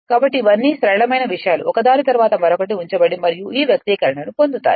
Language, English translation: Telugu, So, these are all simple things just put one upon another and you will get this expression right